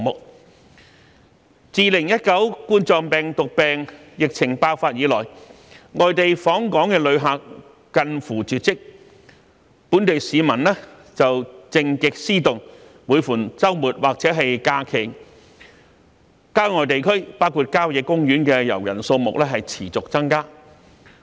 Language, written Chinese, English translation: Cantonese, 自2019冠狀病毒病疫情爆發以來，外地訪港旅客近乎絕跡，本地市民卻靜極思動，每逢周末或假期，郊外地區包括郊野公園的遊人數目持續增加。, Since the outbreak of the COVID - 19 pandemic in 2019 visitors to Hong Kong have all but disappeared . However local people are getting restless after staying at home for so long . An increasing number of people are going to the countryside including country parks on weekends or holidays